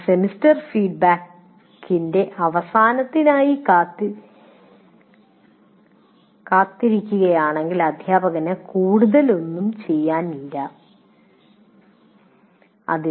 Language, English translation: Malayalam, So what happens is, but if you wait for the end of the semester feedback, then there is nothing much the teacher can do